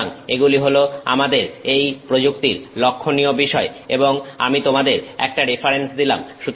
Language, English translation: Bengali, So, those are our highlights for this technique and I have given you a reference